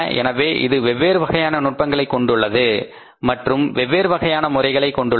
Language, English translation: Tamil, So, it has different techniques, different methods and methodologies